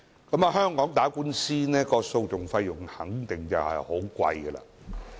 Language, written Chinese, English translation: Cantonese, 在香港打官司，訴訟費用一定很高昂。, In Hong Kong the litigation costs are definitely exorbitant for anyone involved in a court case